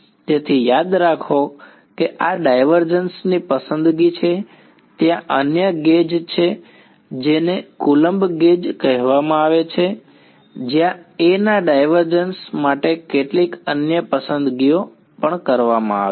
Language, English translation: Gujarati, So, remember this is a choice of the divergence there is another gauge called coulomb gauge where some other choices made for divergence of A ok